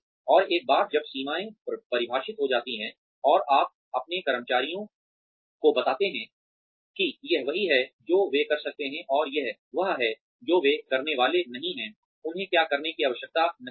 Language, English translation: Hindi, And, once the boundaries are defined, and you tell your employees that, this is what they can do, and this is what they are not supposed to, what they do not need to do